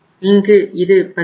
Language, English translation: Tamil, Here it will be 17